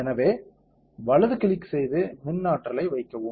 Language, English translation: Tamil, So, right click and put electric potential